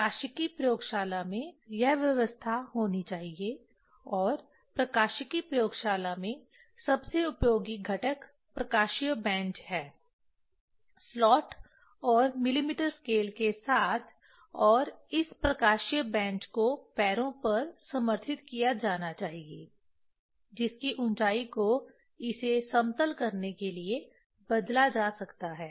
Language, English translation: Hindi, That arrangement should be there in the optics laboratory and in optics laboratory most useful component that is optical bench with slot and millimeter scale and this optical bench should be supported on feet that can be varied in height to level it